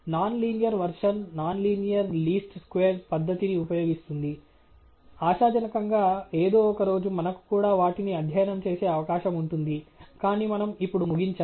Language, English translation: Telugu, The non linear version would use the non linear least squares method; hopefully, some day we will have a chance to go over those as well, but we will have to conclude